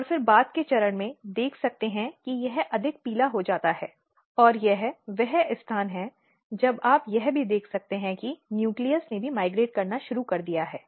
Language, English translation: Hindi, And then you can see slightly more later stage this becomes more yellow and this is the site when you can also see that nucleus has also started migrating